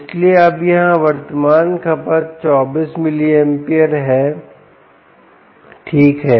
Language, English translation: Hindi, so now the current consumption here is twenty five milliamperes